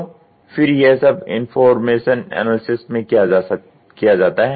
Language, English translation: Hindi, So, then what gets done here is information analysis